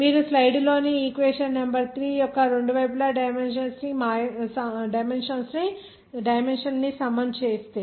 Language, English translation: Telugu, If you equalize the dimension on both sides of the equation number 3 here in the slide